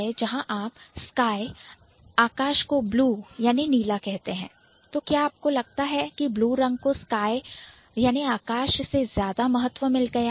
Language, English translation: Hindi, So, when you say sky blue, so do you think blue is getting more importance than sky or sky is getting more importance than blue